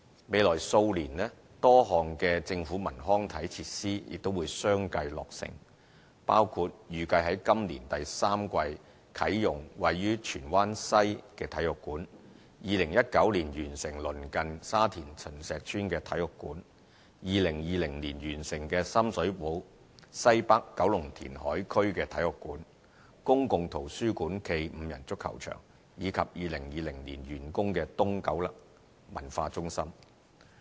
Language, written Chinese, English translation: Cantonese, 未來數年，多項政府文康體設施亦會相繼落成，包括預計於今年第三季啟用位於荃灣西的體育館、2019年完成鄰近沙田秦石邨的體育館、2020年完成的深水埗西北九龍填海區的體育館、公共圖書館暨5人足球場，以及2020年完工的東九文化中心。, In the next few years a number of government cultural recreation and sports facilities will be commissioned one by one . They include a sports centre in Tsuen Wan West which will be inaugurated in the third quarter this year and another sports centre located in the vicinity of Chun Shek Estate in Sha Tin which will be completed by 2019 . 2020 will see the completion of a sports centre public library - cum - 5 - a - side soccer pitch at the Northwest Kowloon Reclamation Site in Sham Shui Po and that of the East Kowloon Cultural Centre